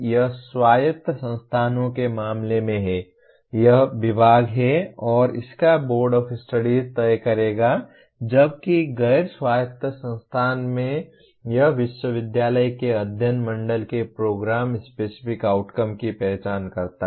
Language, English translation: Hindi, That is in the case of autonomous institution it is the department and its board of studies will decide whereas in non autonomous institution it is the Board of Studies of the university identify the Program Specific Outcomes